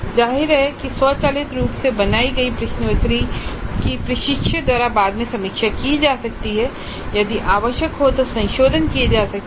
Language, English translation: Hindi, Obviously the quiz that is automatically created can be reviewed further by the instructor and if required modifications can be made